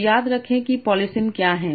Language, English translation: Hindi, So remember what is polysami